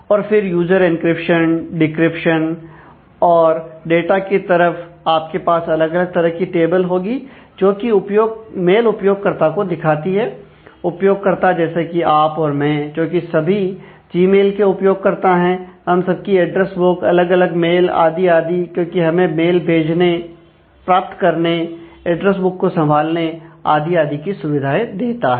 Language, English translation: Hindi, And then user encryption, decryption and the data side you will have different tables to represent the mail users, the users like you and me all who are users of the Gmail, the address book of each for each one of us the mail items and so on, and that will give us the functionality of send, receive mails, managing address book and so on